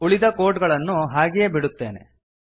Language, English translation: Kannada, I will retain the rest of the code as it is